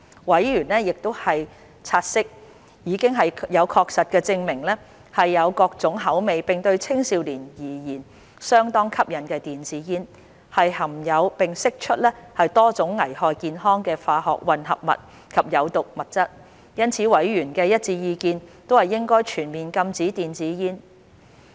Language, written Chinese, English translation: Cantonese, 委員察悉，已有確實證據證明有各種口味並對青少年而言相當吸引的電子煙，含有並釋出多種會危害健康的化學混合物及有毒物質，因此委員的一致意見是應全面禁止電子煙。, Noting that there is conclusive body of evidence that e - cigarettes which have various flavours and are highly appealing to adolescents contain and emit numerous chemical mixture and toxic substances that are hazardous to health members have had a unanimous view that a full ban should be imposed on e - cigarettes